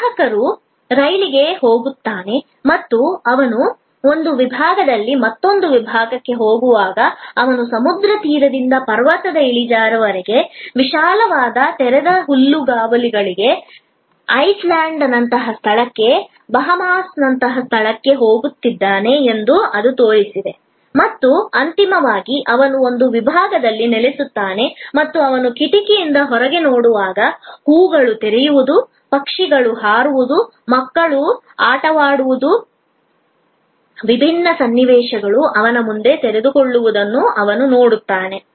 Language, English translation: Kannada, It showed that a customer gets into a train and as he moves through the vestibule from one compartment to another compartment, he is moving from seashore to a mountain slope, to wide open meadows, to a locale like a Iceland, to a location like Bahamas and finally, he settles in one of the compartments and as he looks out of the window, he sees flowers opening, birds flying, children playing, different scenarios unfolding in front of him